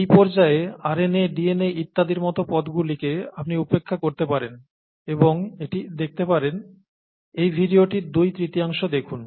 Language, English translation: Bengali, So you could ignore the terms such as RNA, DNA and so on so forth at this stage and watch this, and watch about let’s say two thirds of this video